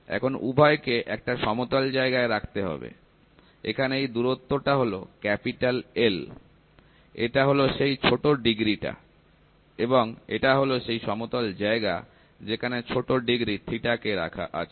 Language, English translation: Bengali, So, this both has to be kept on a flat one, this is the distance called L, and this is the small degree and the flat which is placed at a small degree theta